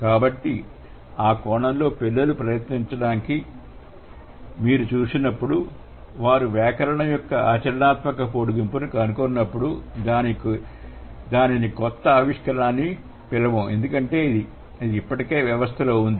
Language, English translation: Telugu, So, in that sense when you see the children, when the children try to or they discover the pragmatic extension of grammatical forms, we wouldn't call it innovation because it has already been there in the system